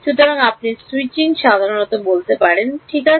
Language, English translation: Bengali, So, you can say switching in general ok